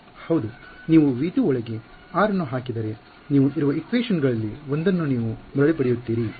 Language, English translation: Kannada, Well yeah if you put r insider v 2 you will get back one of the equations you are